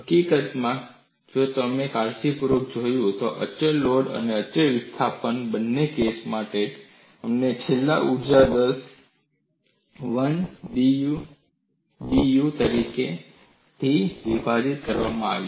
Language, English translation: Gujarati, In fact, if you have looked at carefully, for both the cases of constant load and constant displacement, we finally got the energy release rate as 1 by B dU divided by da